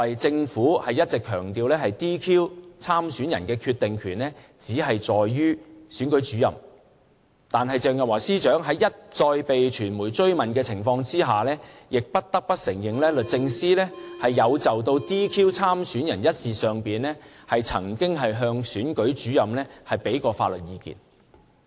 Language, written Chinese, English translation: Cantonese, 政府一直強調 "DQ" 參選人的決定權只在於選舉主任，但鄭若驊司長在被傳媒一再追問的情況下，亦不得不承認律政司有就 "DQ" 參選人一事上，曾經向選舉主任提供法律意見。, The Government has been emphasizing that the decision of disqualifying the candidates rested with the Returning Officers concerned . But under the spate of questions from the media Secretary for Justice Teresa CHENG could not deny that the Department of Justice has given legal advice to the Returning Officers in regard to the disqualification of the candidates concerned